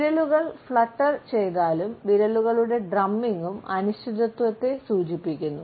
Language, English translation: Malayalam, Fluttering and drumming fingers indicate uncertainty